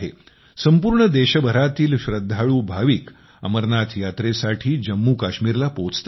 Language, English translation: Marathi, Devotees from all over the country reach Jammu Kashmir for the Amarnath Yatra